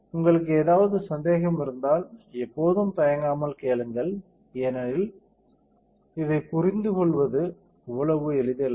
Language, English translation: Tamil, If you have any doubts you know always feel free to ask and do not hesitate because this is not so easy to understand ok